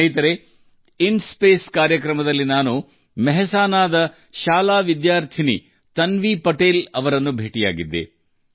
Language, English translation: Kannada, Friends, in the program of InSpace, I also met beti Tanvi Patel, a school student of Mehsana